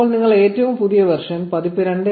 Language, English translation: Malayalam, This is the latest version 2